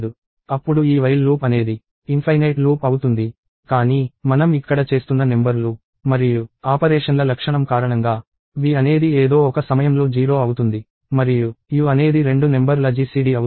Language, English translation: Telugu, This while loop will become an infinite loop; but, because of the property of the numbers and the operations that we are doing here, v will indeed become 0 at some point of time and u is the GCD of two numbers